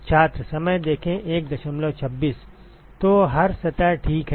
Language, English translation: Hindi, So every surface, ok